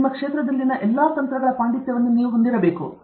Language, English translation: Kannada, You should have a mastery of all the techniques in your field